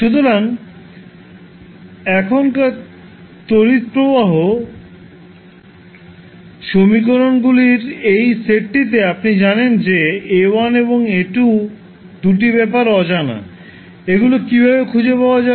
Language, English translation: Bengali, So, now in this particular set of current equations you know that the A1 and A2 are the 2 things which are unknown, so how we can find